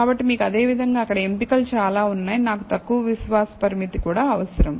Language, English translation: Telugu, So, you have several options in there similarly, I also need a lower confidence limit